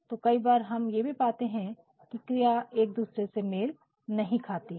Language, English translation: Hindi, So, and sometimes we also find that the subject in the verb does not agree with each other